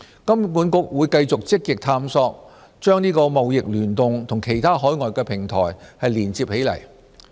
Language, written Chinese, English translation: Cantonese, 金管局會繼續積極探索把"貿易聯動"和其他海外平台連接起來。, HKMA will continue to proactively explore how eTradeConnect can be connected with overseas platforms